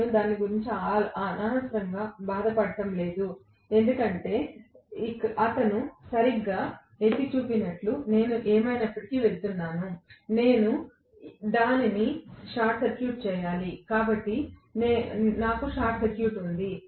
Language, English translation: Telugu, I am not unduly bothered about that because I am going to anyway as he correctly pointed out, I have to short circuit, so I have short circuited